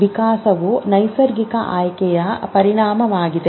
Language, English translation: Kannada, So, evolution is a consequence of natural selection